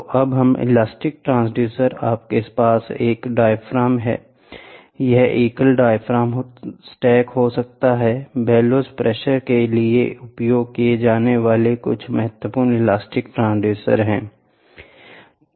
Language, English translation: Hindi, So, elastic transducers this is nothing but you have a diaphragm, a single diaphragm stack of diaphragm single diaphragm can be there, a stack of the diaphragm can be there, the bellows are some of the important elastic transducer used for pressure